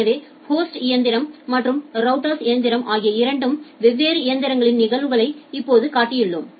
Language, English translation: Tamil, So, we have just shown the instances of two different machines, the host machine and the router machine